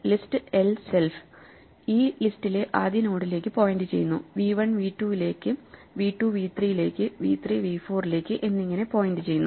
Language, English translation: Malayalam, The list l itself which we have set up points to the first node in this list, v 1 points to v 2, v 2 points to v 3 and v 3 points to be v 4